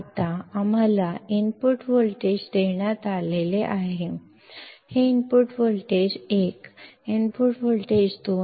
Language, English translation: Marathi, Now, we have being given the input voltages; this is input voltage 1, input voltage 2